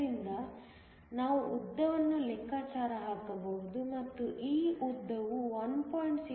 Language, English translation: Kannada, So, we can calculate the length, and this length works out to be 1